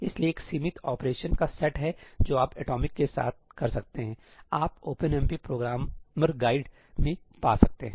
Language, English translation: Hindi, there is a limited set of operations that you can do with atomic, you can find that in the OpenMP programmerís guide